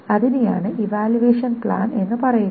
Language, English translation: Malayalam, So that is what is called the evaluation plan